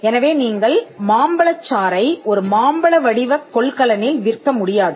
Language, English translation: Tamil, So, you cannot sell mango juice in a mango shaped container